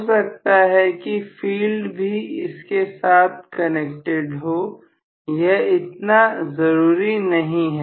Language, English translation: Hindi, May be the field is also connected here, it does not matter